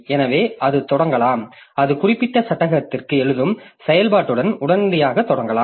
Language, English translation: Tamil, So, it can start with, it can start immediately with the write operation onto that particular frame